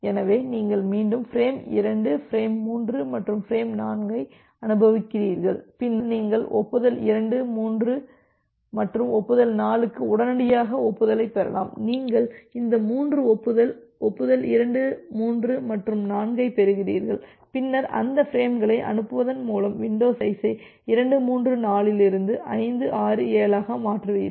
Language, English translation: Tamil, So, you again retransmit frame 2, frame 3 and frame 4 and again then you can get the acknowledgement immediately for acknowledgement 2, acknowledgement 3 and acknowledgement 4 once, you are getting this 3 acknowledgement, acknowledgement 2 3 and 4 then you shift the window further from 2 3 4 to 5 6 7 so, by transmitting those frames